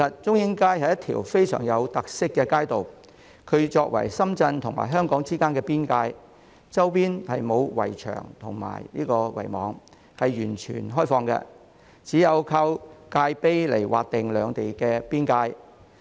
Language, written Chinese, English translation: Cantonese, 中英街是一條非常有特色的街道，作為深圳和香港之間的邊界，周邊沒有圍牆和圍網，是完全開放的，只有靠界碑來劃定兩地邊界。, Chung Ying Street is a street with very special features . As the boundary of Shenzhen and Hong Kong it has no barrier walls or fences and is completely open with only the Stone Obelisk marking the boundary